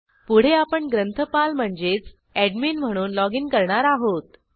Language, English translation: Marathi, Next, we shall login as the librarian i.e